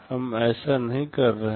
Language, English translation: Hindi, We are not doing that